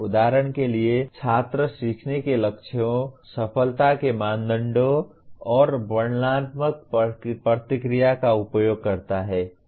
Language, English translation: Hindi, For example the student uses the learning goals, success criteria and descriptive feedback